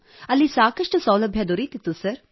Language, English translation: Kannada, There were a lot of facilities available there sir